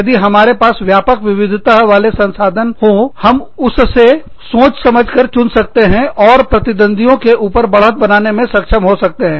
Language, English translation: Hindi, If we have a large, if we have a diverse variety of resources, to pick and choose from, we will be able to get an advantage, over our competitors